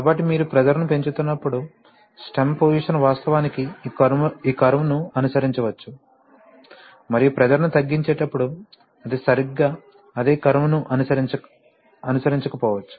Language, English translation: Telugu, So when you are increasing the pressure the stem position may actually follow this curve and when you are decreasing the pressure it may not follow exactly the same curve